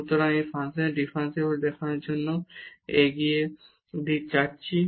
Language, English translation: Bengali, So, moving next now to show the differentiability of this function